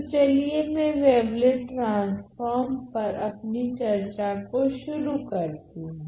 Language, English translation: Hindi, So, let me start the discussion on wavelet transform